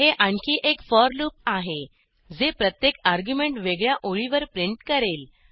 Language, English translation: Marathi, This is another for loop, which will print each argument in a separate line